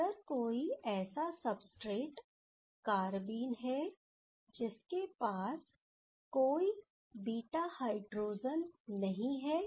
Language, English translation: Hindi, If we take this substrate, where there is no beta hydrogen